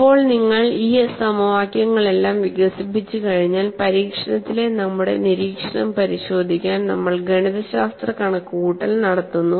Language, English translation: Malayalam, Now, once you develop all this equations, we are armed with mathematical calculation to verify our observation in the experiment